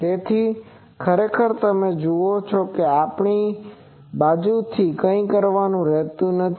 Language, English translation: Gujarati, So, actually you see there is nothing to do from our side much